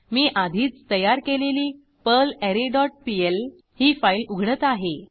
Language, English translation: Marathi, I will open perlArray dot pl file which I have already created